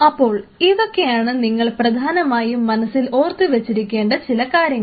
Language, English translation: Malayalam, So, these are some of the interesting details which you always have to keep in mind